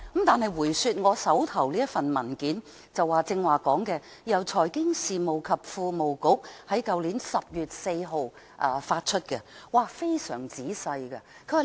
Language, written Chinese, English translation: Cantonese, 返回我手上的文件，這是財經事務及庫務局去年10月4日發出的，寫得非常仔細。, Back to the document in my hand . It was issued by the Financial Services and the Treasury Bureau on 4 October last year . It was written in detail